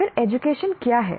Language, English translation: Hindi, Then what is education